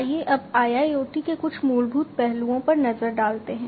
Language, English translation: Hindi, So, let us now look at some of the fundamental aspects of IIoT